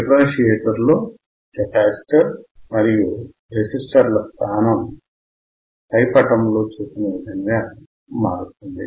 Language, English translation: Telugu, In the differentiator the position of the capacitor and resistors are reversed as shown in figure